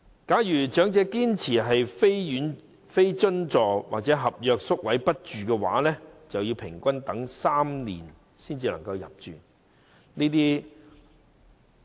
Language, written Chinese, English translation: Cantonese, 假如長者堅持非津助或合約宿位不住的話，平均要等候3年才有宿位。, If these elderly people insist on waiting for a place in subsidized homes or contract homes they will have to wait for three years on average